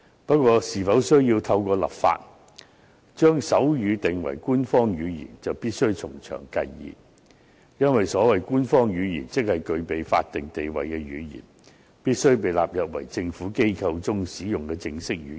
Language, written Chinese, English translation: Cantonese, 不過，是否需要透過立法，將手語定為官方語言，就必須從長計議。因為，所謂官方語言，即是具備法定地位的語言，必須被納入為政府機構中使用的正式語言。, Nevertheless we need to plan prudently when we decide to designate sign language as an official language by legislation because an official language has a statutory status and public organizations are required to use it as a formal language